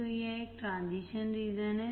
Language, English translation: Hindi, So, it is a transition region